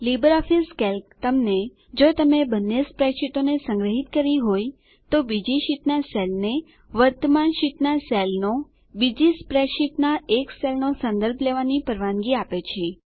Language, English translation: Gujarati, LibreOffice Calc allows you to reference A cell from another sheet to a cell in the current sheet A cell from another spread sheet If you have saved both the spreadsheets